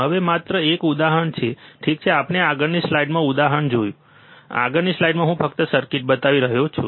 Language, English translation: Gujarati, Now this is just just an example ok, we will see example in the next slide, circuit in the next slide just I am showing